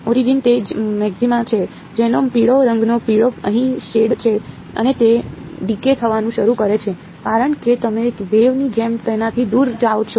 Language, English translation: Gujarati, Origin right that is the maxima its yellow colored yellow shaded over here and it begins to decay ok, as you go away from it just like a wave